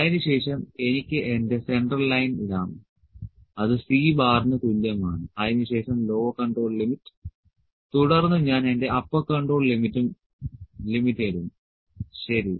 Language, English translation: Malayalam, Then I can have just put my central line that is equal to C bar then lower control limit, then I will put my upper control limit, ok